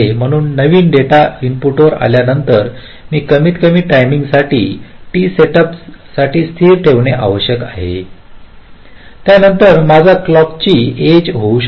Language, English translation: Marathi, so after my new data has come to the input, i must keep it stable for a minimum amount of time: t set up only after which my clock edge can come